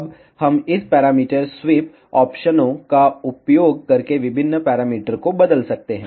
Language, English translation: Hindi, Now, we can change various parameters using this parameter sweep options